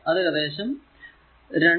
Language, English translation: Malayalam, So, it is given 2